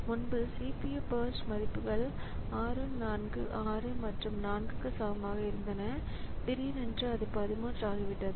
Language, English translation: Tamil, So, previously the CPU burst values were equal to 6, 4, 6 and 4 and all on a sudden it has become 13